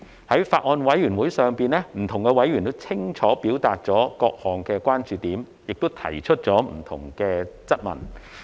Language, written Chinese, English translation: Cantonese, 在法案委員會上，不同委員皆清楚表達了各項關注點，亦提出了不同的質問。, Various members have expressed their points of concern clearly and raised different queries at the Bills Committee